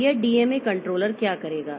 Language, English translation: Hindi, So, what this DMA controller will do